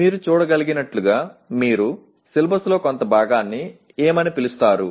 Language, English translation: Telugu, As you can see it is more like what do you call part of the syllabus